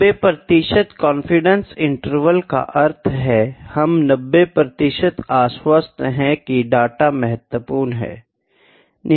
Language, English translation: Hindi, 90 percent confidence interval we are 990 percent confident that the data is significant